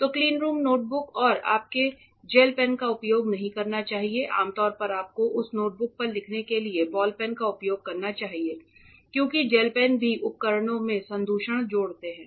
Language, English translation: Hindi, So, cleanroom notebooks where and you should not use gel pens usually you should use ball pens to write on that notebook because gel pens also add contamination to the devices ok